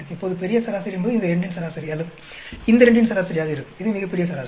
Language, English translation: Tamil, Now, the grand average will be average of these two or average of these two, this is the grand average